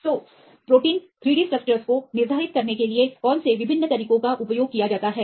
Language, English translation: Hindi, So, what are the various methods used to determine 3 D structures of proteins